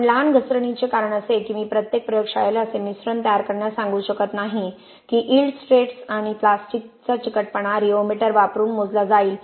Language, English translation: Marathi, The reason we did mini slump is because I cannot tell every lab that design such mix to have yield stress and plastic viscosity measured using a rheometer